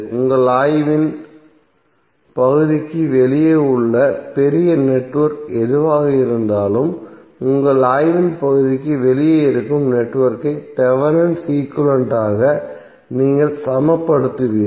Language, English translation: Tamil, So whatever the larger network outside the area of your study is present you will simply equal that network which is outside the area of your study by Thevenin equivalent